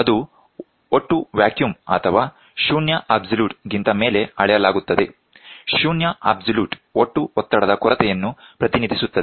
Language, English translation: Kannada, Is measured above total vacuum or zero absolute; zero absolute represents a total lack of pressure